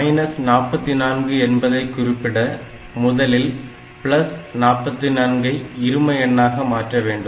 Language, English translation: Tamil, Now, I want to represent minus 44; so, I must have one more digit